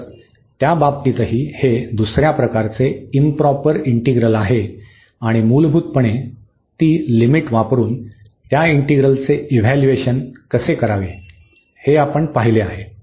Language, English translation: Marathi, So, in that case also this is a improper integral of a second kind and they we have seen how to evaluate those integrals basically using that limit